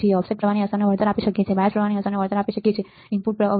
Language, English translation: Gujarati, We can compensate the effect of offset current, may compensate the effect of bias current, what is input resistance